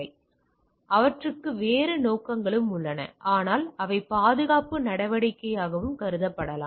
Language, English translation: Tamil, So, they have other purposes also, but also can be looked into as a security measure